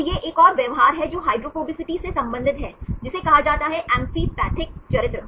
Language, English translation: Hindi, So, this is another behavior which are related with hydrophobicity, there is called amphipathic character